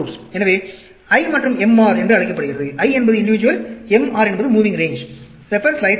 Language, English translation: Tamil, It is called the I and MR; I is the individual, MR is the moving range